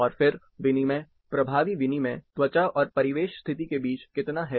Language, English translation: Hindi, And then, how much is exchange, effective exchange, between the skin and the ambient condition